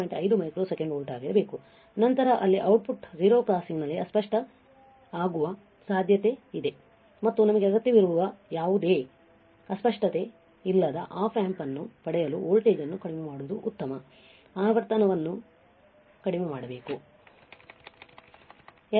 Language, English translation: Kannada, 5 microsecond volts per microsecond, then there is a possibility that the output there will be distortion at the crossing of the 0 crossing and to operate the Op amp without any distortion what we require is to lower the voltage and lower the frequency